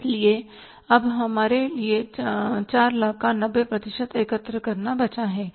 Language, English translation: Hindi, So now we are left with the 90% of that 4 lakhs to be collected